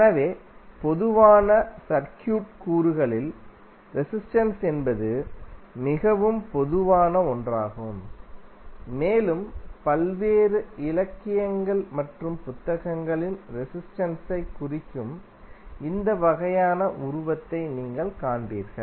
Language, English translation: Tamil, So, in common circuit elements, resistance is one of the most common and you will see that in the various literature and books, you will see this kind of figure represented for the resistance